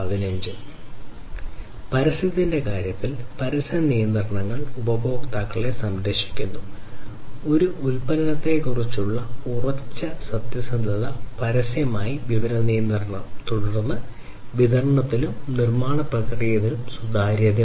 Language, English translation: Malayalam, In terms of advertisement – advertisement regulations protect customers, firm honesty about a product, information regulation publicly, then transparency on distribution and manufacturing process